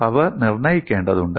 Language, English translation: Malayalam, So that has to be ensured